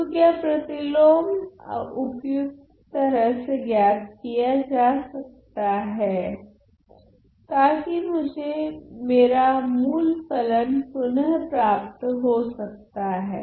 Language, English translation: Hindi, So, namely can the inverse be suitably found so, that I get back my original function